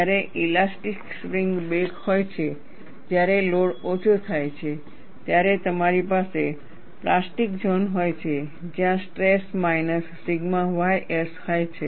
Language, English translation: Gujarati, When there is elastic spring back, and the load is reduced, you have a plastic zone, where the stress is minus sigma y s